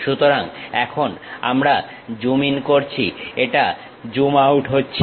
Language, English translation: Bengali, So, now we are zooming in, it is zooming out